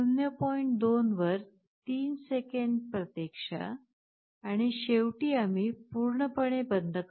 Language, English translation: Marathi, 2 wait for 3 seconds, and finally we turn OFF completely